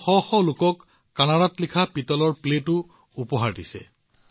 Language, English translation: Assamese, He has also presented brass plates written in Kannada to hundreds of people